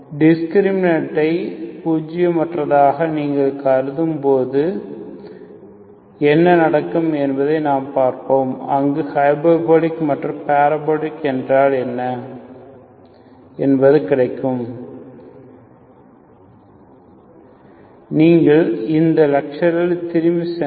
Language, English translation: Tamil, We will see exactly what happens when you when you consider discriminant is nonzero, what is the meaning of hyperbolic and parabolic there